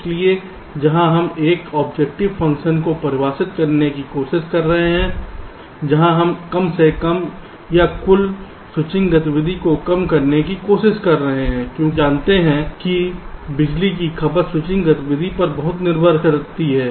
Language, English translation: Hindi, so here we are trying to define an objective function where we are minimizing or trying to minimize the total switching activity, because we know that the power consumption is greatly dependent on the switching activity